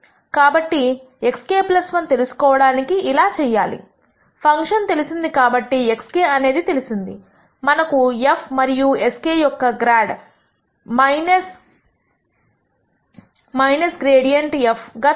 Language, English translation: Telugu, So, to get to x k plus 1 x k is known since the function is known we know also the grad of f and s k is given as the grad of negative grad of f evaluated at x k